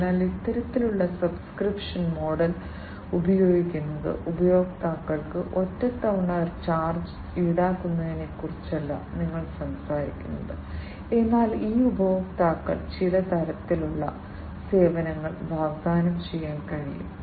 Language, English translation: Malayalam, So, using this kind of subscription model, you are not talking about is one time kind of charge to the customers, but these customers can be offered some kind of services